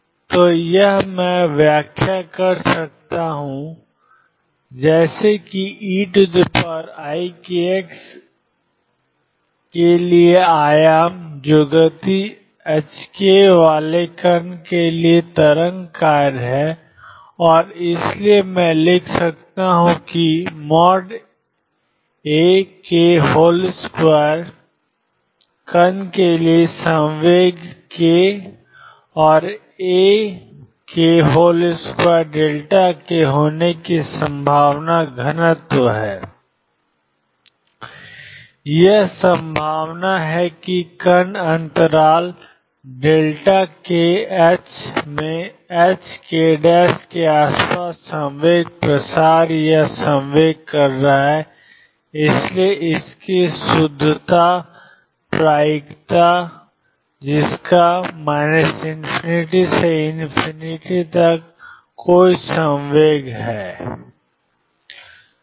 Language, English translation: Hindi, So, this I can enterprise as is the amplitude for e raise to i k s which is the wave function for a particle having momentum h cross k and therefore, I can write that mod a k square is the probability density for particle to have momentum k and a k mod square delta k this is the probability that particle has momentum spread or momentum in the interval delta k h cross delta k around h cross k h prime and therefore, the net probability